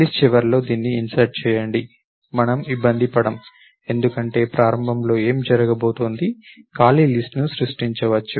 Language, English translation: Telugu, Insert it at the end of the list, we not bother because, initially what is going to happen, either create an empty list, it creates an empty list